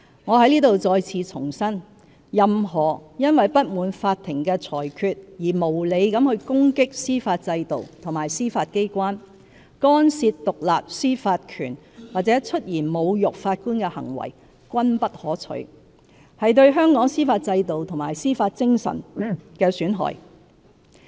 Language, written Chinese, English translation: Cantonese, 我在此再次重申，任何因不滿法庭的裁決而無理攻擊司法制度和司法機關、干涉獨立司法權或出言侮辱法官的行為均不可取，是對香港司法制度和司法精神的損害。, Let me reiterate here that any behaviour arising from disappointment with certain court verdicts including unreasonable attacks on the judicial system and the Judiciary interference with the independence of the judicial power or verbal insults on Judges are totally unacceptable as well as detrimental to the judicial system and the spirit of jurisdiction in Hong Kong